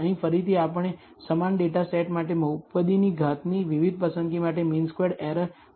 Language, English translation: Gujarati, Here again we have shown the mean squared error for different choice of the degree of the polynomial for the same data set